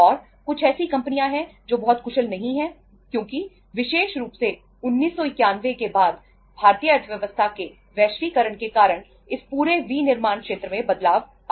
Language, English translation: Hindi, And there are certain companies who are not very efficient because of say especially after 1991 with the globalization of Indian economy this total manufacturing sector sphere has changed